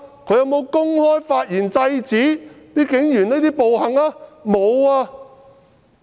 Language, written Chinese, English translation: Cantonese, 他有否公開發言制止警員的暴行？, Has he made remarks openly to stop the Police from committing evil acts?